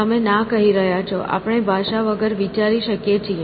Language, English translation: Gujarati, You are saying, no; we can think without language